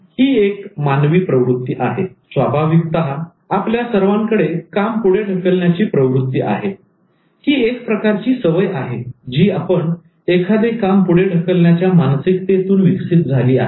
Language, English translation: Marathi, So inherently we all have tendency to postpone, and then it's a kind of habit that we have developed in terms of delaying things